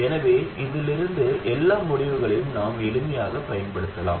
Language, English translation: Tamil, So we can simply use all of the results from that one